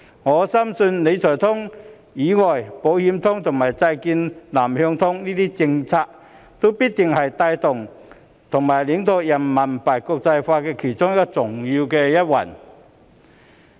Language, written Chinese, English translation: Cantonese, 我深信除了"理財通"之外，"保險通"及債券"南向通"這些政策，均必定是帶動及領導人民幣國際化其中的重要一環。, I firmly believe that apart from the Wealth Management Connect such policies as Insurance Connect and Southbound Bond Connect will certainly be a crucial component driving and leading the internationalization of RMB